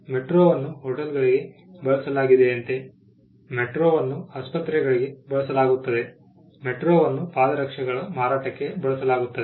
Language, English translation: Kannada, Like metro has been used for hotels, metro has been used for hospitals, metro has been used for selling footwear